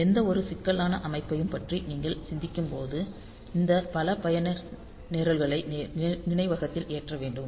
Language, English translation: Tamil, Like when you are thinking about any complex system, then we have to have these many user programs loaded into memory